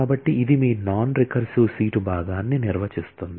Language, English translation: Telugu, So, which defines your non recursive seat part